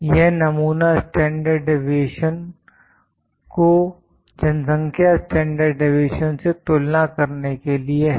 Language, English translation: Hindi, This is for comparing the sample standard deviation to the population standard deviation